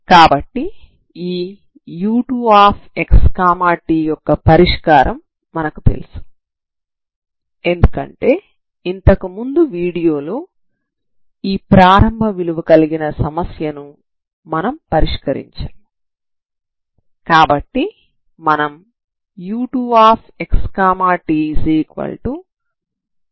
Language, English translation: Telugu, So this is my f2, so this will give me so immediately so we know the solution of this u2 because in the last video we have solved for this initial value problem we know the solution